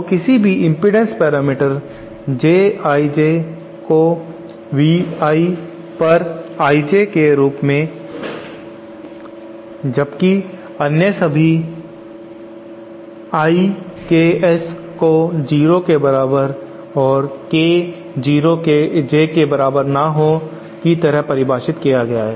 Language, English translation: Hindi, So any impedance parameter J I J is defined as V I upon I J with all other I Ks equal to 0, k not equal to J